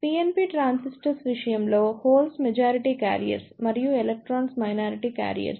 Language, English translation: Telugu, In case of PNP transistors, holes are the majority carriers and electrons are the minority carriers